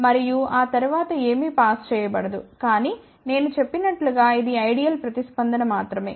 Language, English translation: Telugu, And after that nothing will be pass, but as I mentioned this is only an ideal response